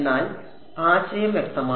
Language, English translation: Malayalam, But is the idea clear